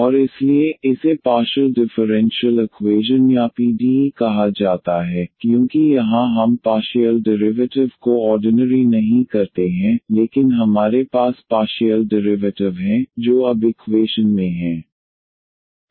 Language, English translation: Hindi, And therefore, this is called the partial differential equation or PDE, because here we the partial derivatives not the ordinary, but we have the partial derivatives, now in the equation